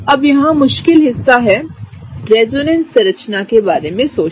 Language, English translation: Hindi, Now, here is the tricky part think about the resonance structure